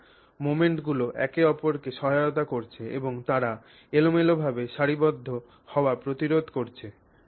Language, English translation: Bengali, So, the moments are assisting each other and they are preventing random orientation